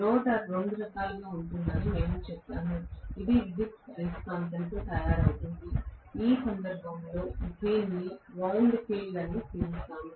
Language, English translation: Telugu, We said the rotor can be of two types, it can be made up of electromagnetic in which case we call it as wound field